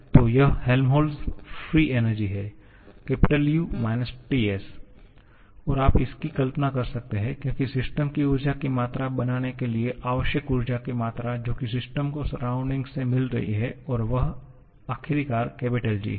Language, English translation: Hindi, So, this Helmholtz free energy is U TS and you can visualize this as the amount of energy needed to create a system the amount of energy that the system is getting from the environment and finally G